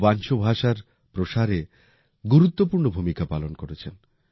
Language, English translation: Bengali, He has made an important contribution in the spread of Wancho language